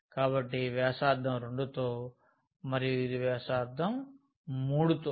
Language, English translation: Telugu, So, with radius 2 and this with radius 3